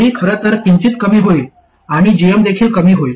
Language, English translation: Marathi, ID will actually reduce slightly and GM also reduces